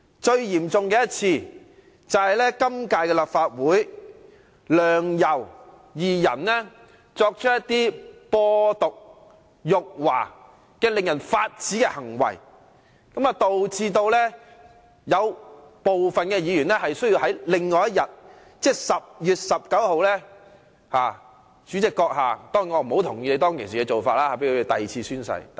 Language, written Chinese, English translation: Cantonese, 最嚴重的一次，便是今屆立法會梁、游二人作出"播獨"、辱華等令人髮指的行為，導致部分議員需要在其後的立法會會議，即2016年10月19日的會議上作第二次宣誓。, The most serious act was the one in the current term of the Legislative Council when Sixtus LEUNG and YAU Wai - ching committed acts of spreading independenism and insulting China . Such outrageous acts resulted in the second oath - taking of some Members at the subsequent Legislative Council meeting on 19 October 2016